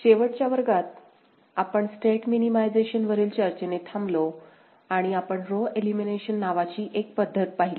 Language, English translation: Marathi, In the last class, we ended with a discussion on State Minimization and we looked at one method called row elimination method